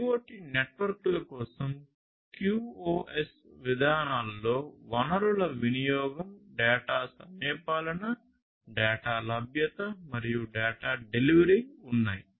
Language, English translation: Telugu, QoS policies for IoT networks includes resource utilization, data timeliness, data availability, and data delivery